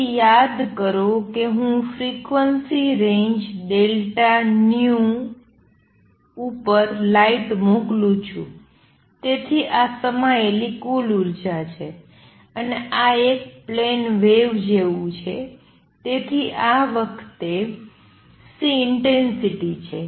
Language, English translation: Gujarati, So, recall that I am sending light over a frequency range delta nu, so this is the total energy contained and this is like a plane wave so this time C is intensity